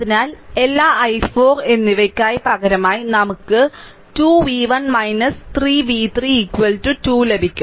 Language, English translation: Malayalam, So, you substitute all i 1 and i 4 simplify you will get 2 v 1 minus 3 v 3 v 3 is equal to 2